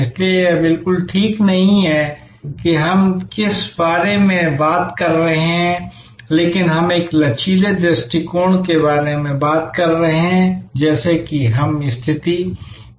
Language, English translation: Hindi, So, it is not exactly meandering that we are talking about, but we are talking about a flexible approach as we as situations evolves